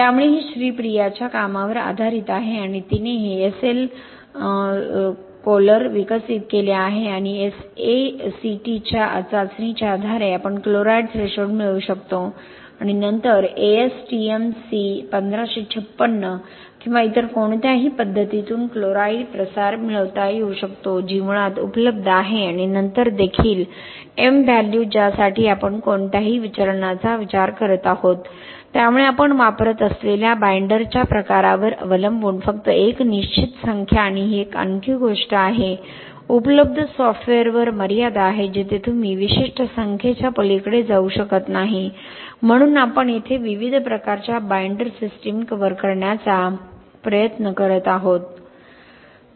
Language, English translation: Marathi, So we kind of modified that or developed another code which will take care of this different variation in the input parameters, so it is based on Sreepriyaís work and she developed this SL chlor and based on the sACT test we can get the chloride threshold and then chloride diffusion can be obtained from ASTM C1556 or any other method which is available basically ponding test and then also the M value for which we are considering any deviation, so just a fixed number depending on the type of binder which we use and this is also another thing, there are limitations on the existing software where you cannot go beyond particular number, so here we are trying to cover different types of binder systems